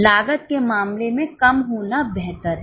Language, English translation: Hindi, In case of cost, the lesser the better